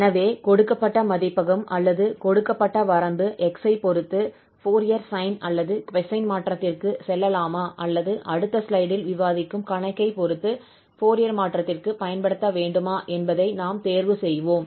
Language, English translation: Tamil, So depending on the given domain, or the given range of x, we will choose whether we go for Fourier sine or cosine transform or we have to apply the Fourier transform that depends on the problem we will discuss in next slides